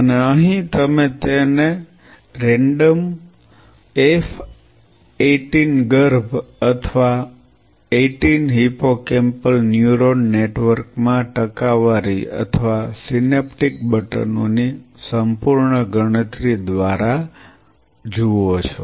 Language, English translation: Gujarati, And here you are either you go by percentage or absolute count of synaptic buttons in a random F18 fetal 18 hippocampal neuron networks